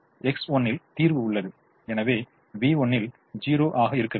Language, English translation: Tamil, so x one equal to three implies v one is equal to zero